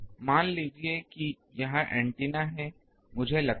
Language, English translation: Hindi, Suppose this is the antennas, I think